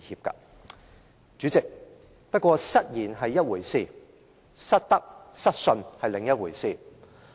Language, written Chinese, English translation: Cantonese, 代理主席，不過，失言是一回事，失德、失信是另一回事。, Nevertheless Deputy Chairman making an inappropriate remark is one matter but lacking morals and credibility is another